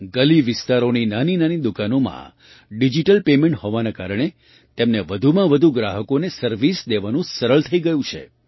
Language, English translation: Gujarati, In the small street shops digital paymenthas made it easy to serve more and more customers